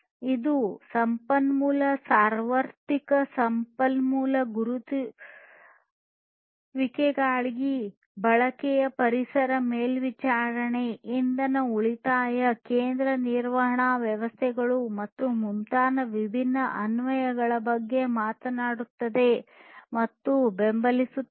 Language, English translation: Kannada, It talks about the use of resource universal resource identifiers and supports different applications for environmental monitoring, energy saving, central management systems, and so on